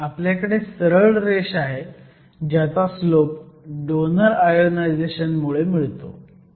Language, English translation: Marathi, So, you have a straight line with the slope that is given by your donor ionization